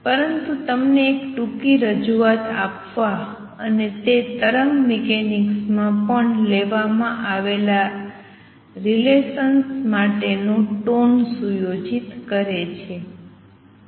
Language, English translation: Gujarati, But to give you a brief introduction and what it sets the tone for the relations that are derived in wave mechanics also